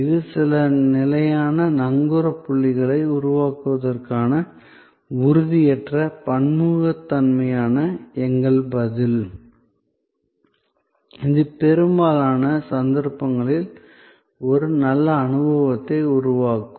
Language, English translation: Tamil, This is our response to the intangibility, the heterogeneity to create certain standard anchor points, which will in most cases produce a good experience